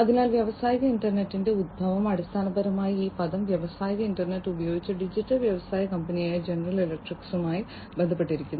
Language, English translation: Malayalam, So, industrial internet the origin is basically linked to the digital industrial company General Electric, who coined this term industrial internet